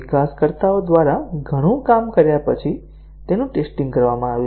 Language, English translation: Gujarati, After a lot of work by the developers, it has been tested